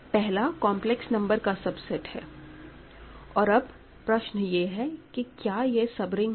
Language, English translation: Hindi, The first one is a subset of complex numbers and the question is it a sub ring